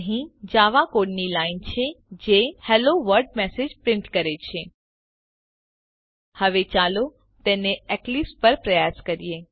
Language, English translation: Gujarati, Here is a line of java code that prints the message Hello World Now let us try it on Eclipse